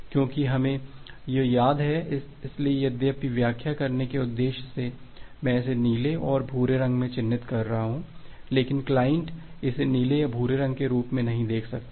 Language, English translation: Hindi, Because remember this, so although for the explaining purpose I am marking it has blue and brown, but the client cannot see it as a blue or brown